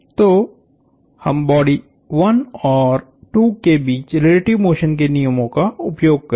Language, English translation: Hindi, So, we will use the laws of relative motion between bodies 1 and 2